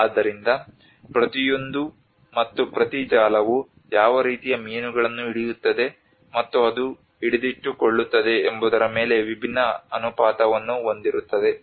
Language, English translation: Kannada, So that each, and every net have a different proportion on how what kind of fish it catches and it can hold